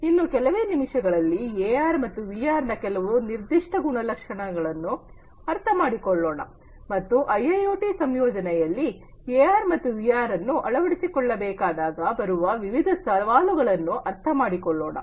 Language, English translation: Kannada, So, in the next few minutes, we are going to understand the specific attributes of AR and VR and the different challenges, that are there in the adoption of AR and VR technologies in IIoT settings